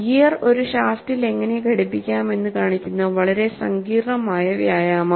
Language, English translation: Malayalam, Very complicated exercise, which models even how the gear is mounted on a shaft